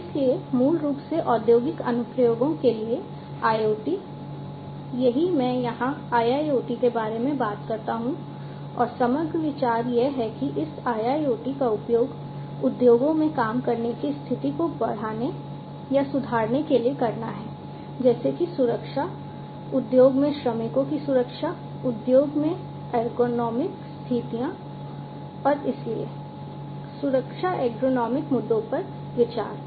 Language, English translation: Hindi, And so, basically IoT for industrial applications is what IIoT talks about and the overall idea is to use this IIoT for increasing or enhancing the working condition in the industries such as the safety, safety of the workers in the industry, the ergonomic conditions in the industry and so, on safety ergonomic issues and